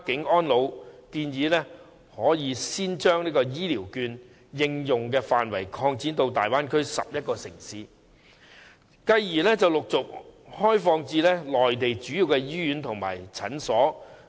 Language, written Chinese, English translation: Cantonese, 我們建議可先將醫療券的應用範圍擴展至大灣區11個城市，繼而陸續開放至內地主要醫院和診所。, We propose to expand the application of health care vouchers to the 11 cities in the Bay Area as the first step and then to major Mainland hospitals and clinics